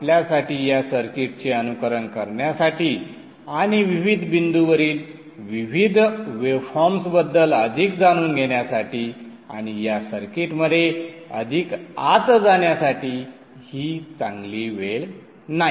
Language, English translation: Marathi, It is now a good time for you to simulate the circuit and learn more about the various waveforms at various points and get more insights into this circuit